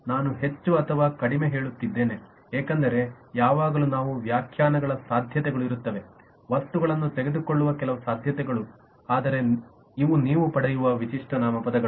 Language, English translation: Kannada, i am saying more or less because there is always some possibilities of interpretations, some possibilities of missing out items, but these are the typical nouns you will get and you can see that